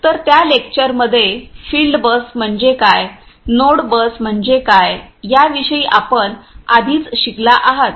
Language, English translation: Marathi, So, in that lecture you have already you know learnt about what is field bus, what is node bus and so, on